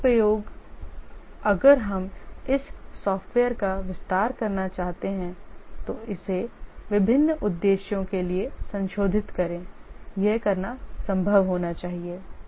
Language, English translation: Hindi, Reusability, if we want to extend this software, modify this for different purpose, it should be possible to do